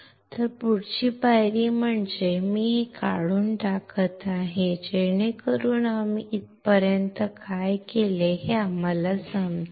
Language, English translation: Marathi, So, the next step is I am removing this so that, we understand what we have done until here